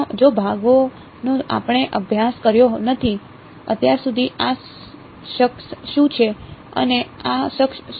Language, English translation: Gujarati, The parts which we have not studied, so far are what are these guys and what are these guys